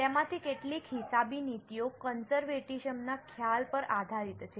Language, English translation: Gujarati, Several of those accounting policies are based on the concept of conservatism